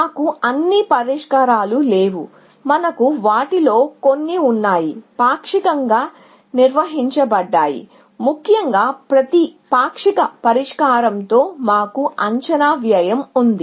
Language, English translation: Telugu, We do not have all the solutions; we have some of them, partially defined, essentially with every partial solution, we have an estimated cost